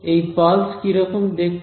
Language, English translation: Bengali, So, what is this pulse look like